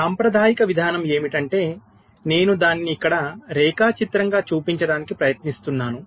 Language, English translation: Telugu, the conventional approach is that i am just trying to show it diagrammatically here